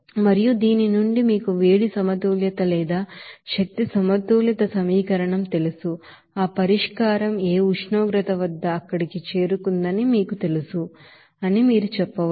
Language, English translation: Telugu, And from this you know heat balance or energy balance equation, you can say that at what temperature that solution will be you know reached there